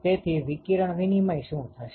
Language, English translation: Gujarati, So, what will be the radiation exchange